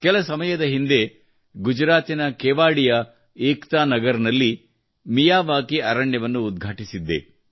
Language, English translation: Kannada, Some time ago, I had inaugurated a Miyawaki forest in Kevadia, Ekta Nagar in Gujarat